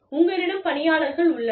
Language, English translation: Tamil, You have staffing